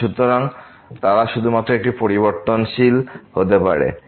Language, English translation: Bengali, So, they are used to be only one variable